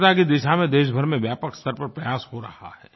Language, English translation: Hindi, Efforts in the direction of cleanliness are being widely taken across the whole country